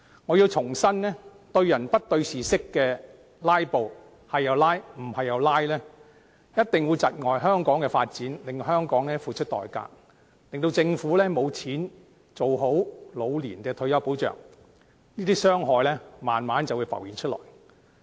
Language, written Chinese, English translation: Cantonese, 我重申，對人不對事式的"拉布"，不論怎樣也"拉布"，一定會窒礙香港的發展，令香港付出代價，政府沒有資源做好退休保障，這些傷害慢慢便會浮現出來。, I wish to reiterate that filibustering underpinned by subjective motives or indiscriminate filibustering will definitely hinder the development of Hong Kong . As a result Hong Kong will have to pay a price and the Government will be deprived of resources to properly discharge its responsibility of providing retirement protection . These harms will surface gradually